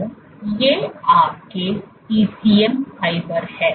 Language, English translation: Hindi, So, these are your ECM fibers